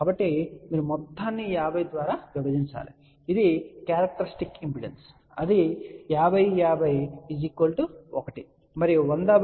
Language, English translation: Telugu, So, you divide this whole thing by 50 which is the characteristic impedance that will give me 50 divided by 50, 1 and 100 divided by 50 will be 2